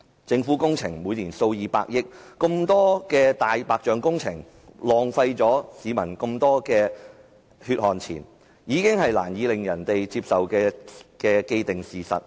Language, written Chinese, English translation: Cantonese, 政府每年批出工程數以百億元計，這麼多“大白象”工程，浪費市民這麼多血汗錢，已是令人難以接受的既定事實。, The Government awards works projects worth tens of billions of dollars each year . All these white elephant projects have wasted a huge amount of peoples hard - earned money which is a fact that we can hardly accept